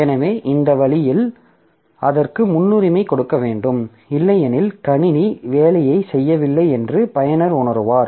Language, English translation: Tamil, So, that way the it has to give a priority because otherwise the user will feel that the system is not doing my job